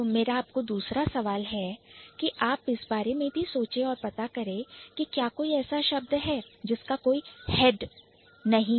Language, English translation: Hindi, And then the other question that I want you to think about or to figure out is is there any word which doesn't have a head